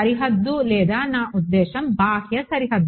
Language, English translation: Telugu, No boundary I mean the outermost boundary